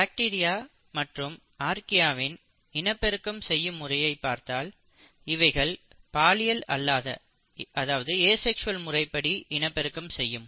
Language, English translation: Tamil, If you look at the mode of reproduction in case of bacteria and Archaea the mode of reproduction is asexual, but eukaryotes exhibit both sexual and asexual mode of reproduction